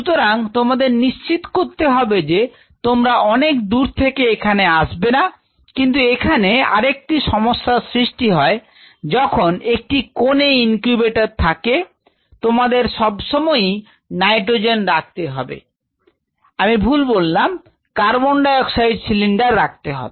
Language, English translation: Bengali, So, you ensure you do not want to travel all the way out here, but that brings us to another problem whenever you have an incubator in this corner you always have to have the nitrogen, sorry the carbonate oxide cylinder to be taken all the way after here